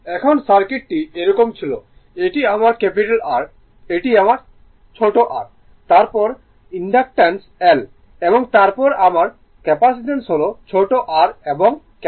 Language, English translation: Bengali, Now, circuit were like this, this is my capital R this is my small r then inductance L right, and then my capacitance is that this is small r this is L